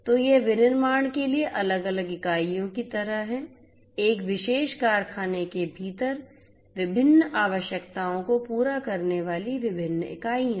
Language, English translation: Hindi, So, these are like different units for manufacturing you know different units scattering to the different requirements within a particular factory